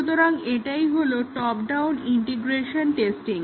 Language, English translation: Bengali, So this is the top down integration testing